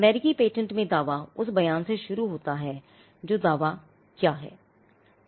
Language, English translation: Hindi, The claim in a US patent begins with the statement what is claimed is